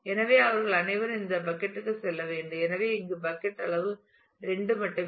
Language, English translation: Tamil, So, they all need to go to this bucket and therefore, but the bucket size assumed here is just 2